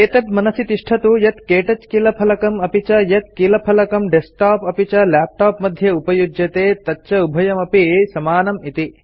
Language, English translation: Sanskrit, Notice that the KTouch keyboard and the keyboards used in desktops and laptops are similar